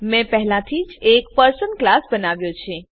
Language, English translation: Gujarati, I have already created a class Person